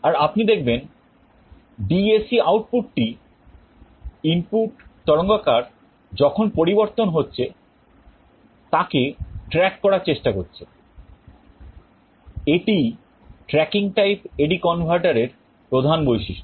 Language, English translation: Bengali, And you see the DAC output is trying to track the input waveform as it is changing, this is the main characteristic of the tracking type A/D converter